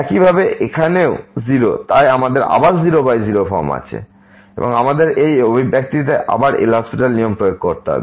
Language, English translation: Bengali, Similarly, here also 0 so, we have again 0 by 0 form and we need to apply the L’Hospital rule to this expression once again